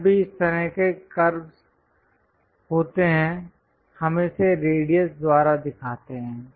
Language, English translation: Hindi, Whenever this kind of curves are there, we show it by radius